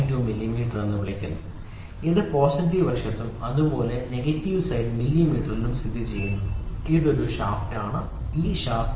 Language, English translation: Malayalam, 2 millimeter, it lies on positive side as well as it lies on negative side millimeter, this is a shaft this is shaft, ok